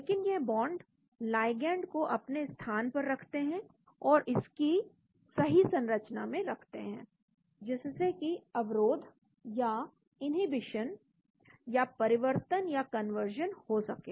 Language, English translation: Hindi, But these bonds keep the ligand in place and keep it in the proper conformation for inhibition or conversion to happen